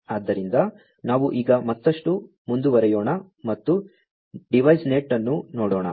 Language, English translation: Kannada, So, let us now proceed further and to look at the DeviceNet